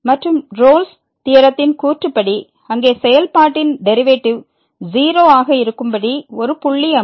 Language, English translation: Tamil, And the Rolle’s theorem says that the there will be a point where the function will be the derivative of the function will be